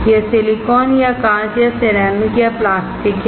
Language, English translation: Hindi, It is silicon or glass or ceramic or plastic